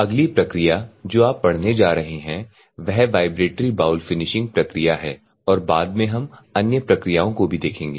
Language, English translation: Hindi, So, the next one which you are going to study is the Vibratory Bowl Finishing and later we will see other processes also